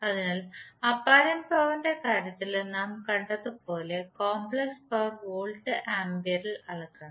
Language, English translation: Malayalam, Just to distinguish between real power that is what we measure in watts, we measure complex power in terms of volt ampere